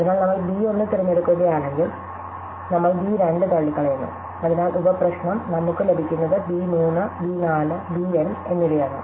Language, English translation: Malayalam, So, if we choose b 1, then we have to rule out b 2 and so the sub problem, we get is b 3, b 4 and b N